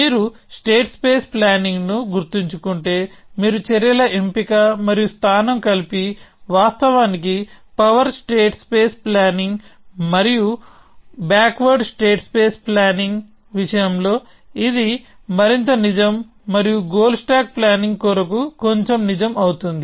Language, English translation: Telugu, And so if you remember states space planning, so you combined selection and placement of actions; of course, this is more true of power state space planning and backward state space planning and little bit lets true for goal stack planning